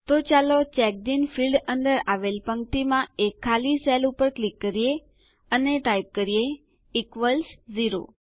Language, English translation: Gujarati, So let us click on the empty cell in this row, under the CheckedIn field and type in Equals Zero